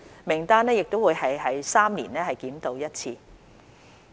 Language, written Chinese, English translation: Cantonese, 名單亦會每3年檢討一次。, The list will be reviewed at three - year intervals